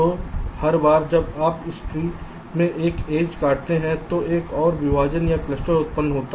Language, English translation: Hindi, so every time you cut an edge in this tree you will get one more partition or cluster generated